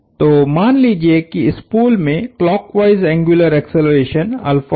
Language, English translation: Hindi, So, let’s say the spool has a clockwise angular acceleration alpha